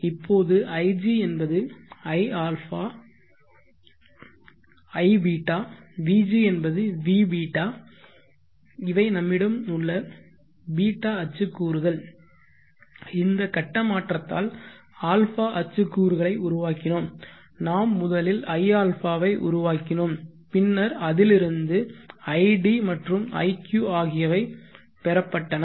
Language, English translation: Tamil, t which is vß, now ig is also iß vg is vß that is a ß axis components we have, we generated the a axis components by this phase shift, we generated ia and then the id and iq where obtained